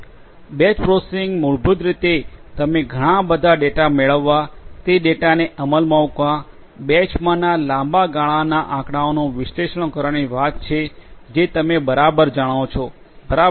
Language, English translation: Gujarati, Batch processing basically you know talks about getting lot of data, executing those data, analyzing those data for long term statistics in batches, right